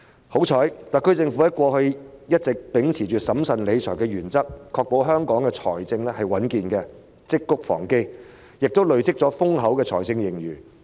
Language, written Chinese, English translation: Cantonese, 幸好特區政府過去一直秉持審慎理財的原則，確保香港財政穩健，積穀防飢亦累積了豐厚的財政盈餘。, Fortunately the SAR Government has long been adhered to the principle of managing public finances prudently to ensure the robust financial position of Hong Kong and we have also accumulated abundant fiscal reserves by saving for a rainy day